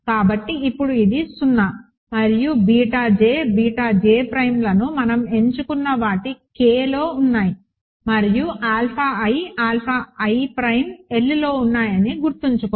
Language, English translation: Telugu, So, now, this is 0 and remember beta j, beta j prime are in what did we choose them K and alpha i, alpha i prime are in a L